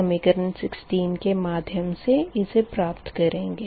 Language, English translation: Hindi, this is equation sixteen